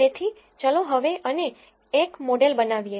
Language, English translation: Gujarati, So, now, let us go and build a model